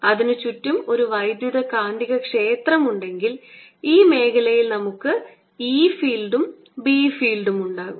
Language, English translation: Malayalam, let an electromagnetic field exist around it so that we have e field and b field in this region